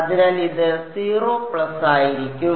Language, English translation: Malayalam, So, it will be 0 plus